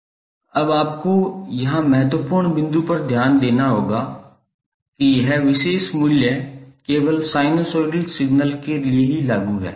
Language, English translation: Hindi, Now you have to note the important point here that this particular value is applicable only for sinusoidal signals